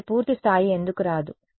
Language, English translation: Telugu, And why it is not full rank